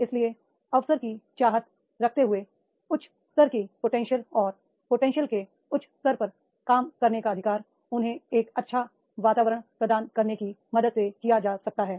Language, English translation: Hindi, So wanting the opportunity opportunity right to operate at a higher level of competence and at higher level of competence can be done with the help of providing the environment to them